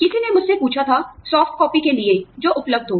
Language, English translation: Hindi, Somebody had asked me, for softcopy, was available